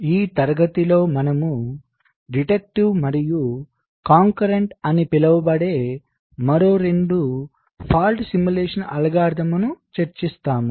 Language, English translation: Telugu, so in this class ah, we shall be discussing two more fault simulation algorithms, called deductive and concurrent